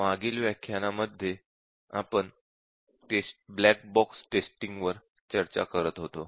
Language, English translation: Marathi, We were discussing in the previous sessions about Black box testing techniques